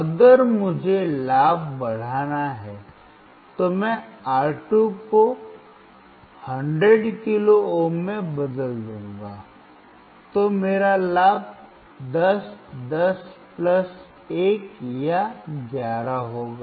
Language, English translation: Hindi, If I want to increase the gain then I change R2 to 100 kilo ohm, then my gain would be 10, 10 plus 1 or 11